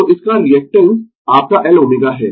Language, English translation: Hindi, So, its reactance is your L omega